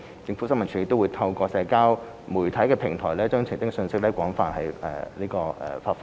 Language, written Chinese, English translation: Cantonese, 政府新聞處也透過在社交媒體平台，把澄清信息廣泛發放。, ISD also widely disseminates clarification messages through social media platforms